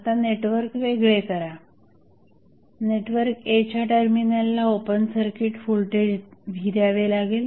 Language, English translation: Marathi, Now, disconnect the network be defined a voltage V open circuit across the terminal of network A